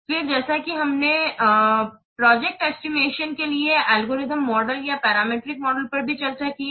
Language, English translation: Hindi, Then as also we have also discussed the algorithmic model or the parameter model for project estimation